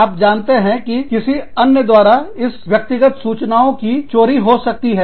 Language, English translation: Hindi, You know, this personal data could be, stolen by somebody else